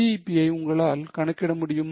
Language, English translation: Tamil, Can you calculate BEP